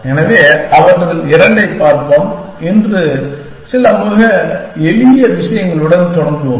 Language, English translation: Tamil, So, we will look at couple of them, we will start with some very simple thing today